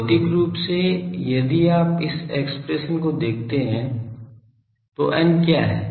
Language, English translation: Hindi, Physically, if you look at this expression what is sorry, what is n